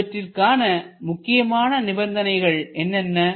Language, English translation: Tamil, What are the important restrictions